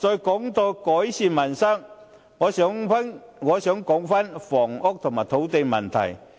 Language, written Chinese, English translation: Cantonese, 談到改善民生，我想討論一下房屋和土地問題。, Speaking of improving peoples livelihood I would like to discuss housing and land problems